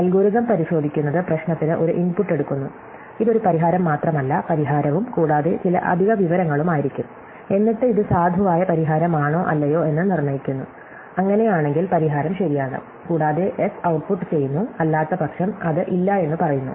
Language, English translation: Malayalam, So, checking algorithm takes an input for the problem, a solution which is may be not just the solution, but solution plus some extra information, and then it determine whether or not, this is a valid solutions, if so it says that the solution is correct and outputs yes, otherwise it says no